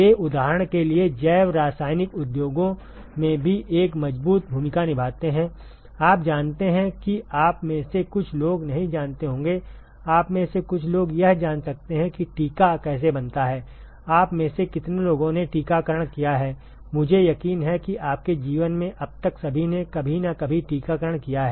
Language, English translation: Hindi, They also play a strong role in biochemical industries for example; you know some of you may not know, some of you may know how a vaccine is made; how many of you have had vaccinations, I am sure everyone has had vaccinations some time or other in your life so far